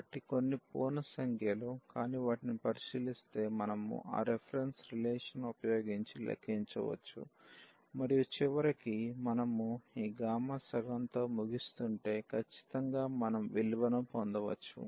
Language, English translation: Telugu, So, for some non integer number as well we can compute using that reference relation and at the end if we end up with this gamma half then certainly we can get the value